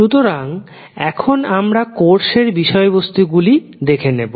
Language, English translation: Bengali, So, we will go through the the the course content